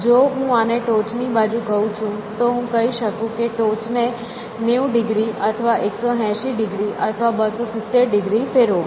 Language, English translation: Gujarati, So, if I call this is a top face, I can say rotate the top by 90 degrees or rotate the top by 180 degrees or by 270 degrees